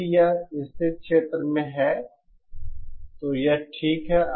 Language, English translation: Hindi, If it lies in the stable region then fine